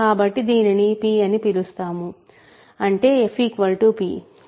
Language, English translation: Telugu, So, let us call it p so; that means, f is equal to p